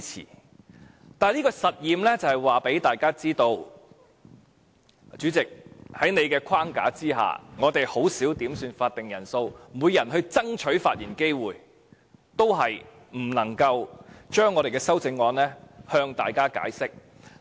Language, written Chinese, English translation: Cantonese, 但是，我這個實驗是想告訴大家，主席，在你的框架下，我們已甚少要求點算法定人數，即使每人爭取發言機會，也不能夠向大家解釋我們的修正案。, And I wish to tell Members through this experiment that Chairman under the time frame you set we have already refrained from making quorum calls but still we could not explain our amendments to Members despite seizing every opportunity to speak . In my last speech I was speaking on Amendment No . 174